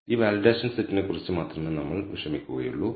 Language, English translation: Malayalam, We will only worry about this validation set